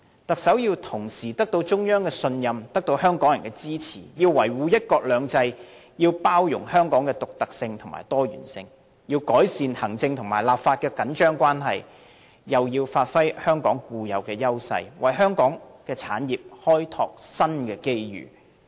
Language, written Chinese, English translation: Cantonese, 特首要同時得到中央信任和香港人支持，要維護"一國兩制"，要包容香港的獨特和多元，要改善行政立法的緊張關係，又要發揮香港固有優勢，為香港產業開拓新機遇。, The Chief Executive needs to earn the trust of both the Central Authorities and Hong Kong people safeguard one country two systems acknowledge Hong Kongs uniqueness and diversity improve the strained relationship between the executive and the legislature as well as to capitalize on Hong Kongs intrinsic edge in order to explore new opportunities for our industries